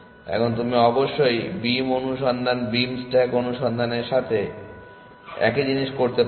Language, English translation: Bengali, Now, you can of course do the same thing with beam search beam stack search